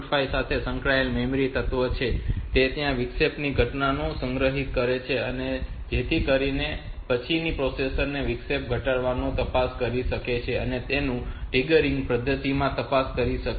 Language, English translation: Gujarati, 5 that stores the occurrence of the interrupt, so that later on the processor may check the occurrence of that interrupt and look into that